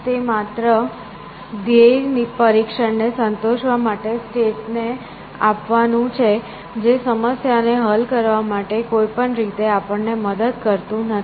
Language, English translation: Gujarati, It is only giving us to state end with satisfy the goal test that does not help us in any way, to solve the problem